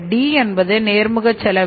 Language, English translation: Tamil, I is the indirect cost